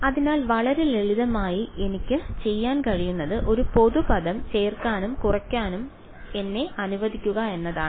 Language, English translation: Malayalam, So, very simply what I can do is let me add and subtract a common term